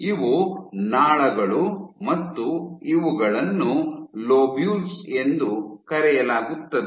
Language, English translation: Kannada, So, these are ducts and these are called lobules